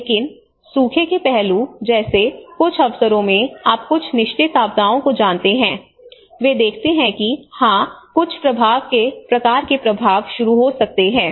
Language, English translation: Hindi, But in certain occasions like you know the drought aspect you know certain continuous disaster, they see that yes there is some kind of impacts may start